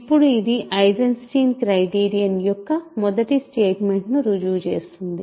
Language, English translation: Telugu, So, now this proves the first statement of the Eisenstein criterion